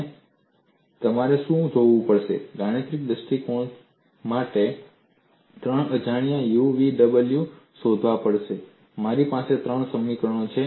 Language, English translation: Gujarati, And what you will have to look at is, from mathematical point of view, I have to find out three unknowns u, v and w